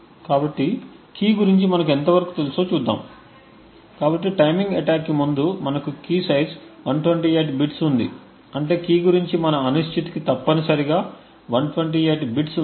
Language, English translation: Telugu, So, let us see how much we have actually know about the key, so prior to the timing attack we had a key size of 128 bits which means that there are to our uncertainty about the key is essentially 128 bits